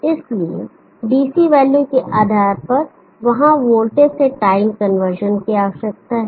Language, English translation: Hindi, So depending upon the DC value there needs to be a voltage to conversion